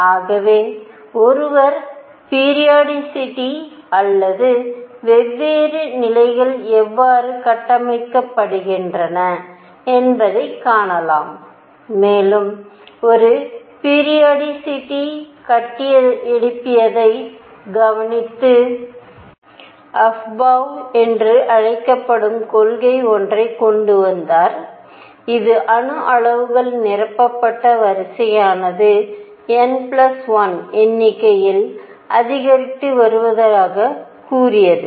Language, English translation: Tamil, So, one could see the periodicity or how the different levels are built, and one also observed the way periodicity was built and came up with something called the Afbau principle, which said that the order in which atomic levels are filled is in increasing number for n plus l